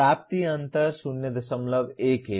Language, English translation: Hindi, The attainment gap is 0